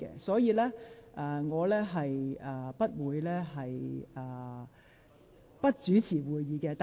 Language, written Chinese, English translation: Cantonese, 所以，我不會不主持會議。, So I will not stop presiding over this meeting